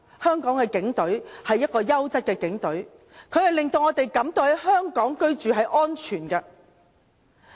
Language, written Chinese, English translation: Cantonese, 香港警隊是優質的警隊，令我們感到在香港居住是安全的。, The Hong Kong Police Force is an outstanding police force that makes us feel safe living in Hong Kong